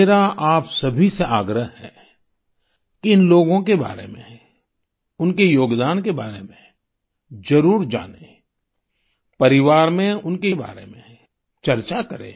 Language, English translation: Hindi, I urge all of you to know more about these people and their contribution…discuss it amongst the family